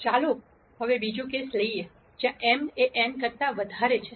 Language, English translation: Gujarati, Now let us take the second case, where m is greater than n